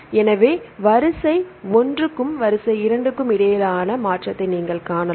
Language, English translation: Tamil, So, you can see a shift between sequence one and the sequence two